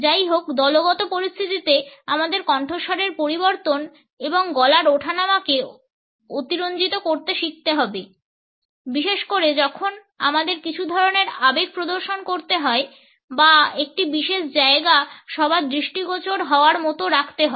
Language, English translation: Bengali, However, in group situations we have to learn to exaggerate the voice modulation and inflections, particularly when we have to demonstrate some kind of emotion or highlight a point